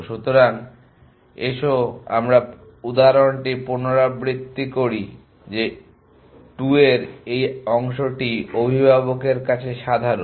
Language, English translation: Bengali, So, let me us repeat the example this part of the 2 are is common to the parent